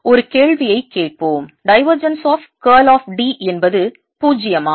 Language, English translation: Tamil, lets ask a question: is divergence of or curl of d is zero